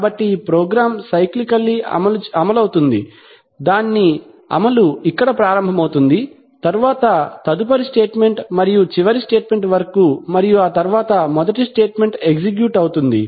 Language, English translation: Telugu, So this program which is a set of statements execute cyclically that is the execution begins here, then next statement and so on till the last statement and then again the first statement will be executed